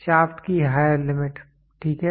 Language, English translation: Hindi, Higher limit of Shaft, ok